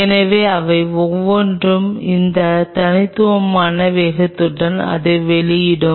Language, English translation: Tamil, So, each one of them will be emitting it with that unique velocity